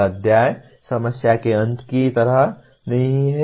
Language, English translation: Hindi, It is not like end of the chapter problem